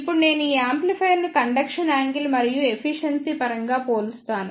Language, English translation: Telugu, Now, if I compare these amplifiers in terms of conduction angle and efficiency